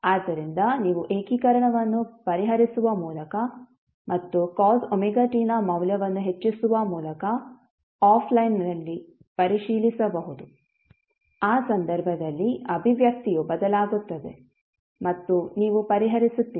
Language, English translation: Kannada, So, this you can verify offline by solving the integration and putting up the value of cos omega t, the expression will change in that case and you will solve